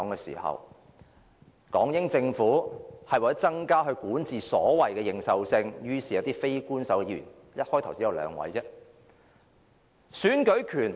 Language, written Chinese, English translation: Cantonese, 其後，港英政府為了增加所謂管治的認受性，於是便委任了一些非官守議員，開始時只有兩位。, Subsequently in order to enhance the legitimacy of its governance it started the appointment of Unofficial Members with only two appointees at the very beginning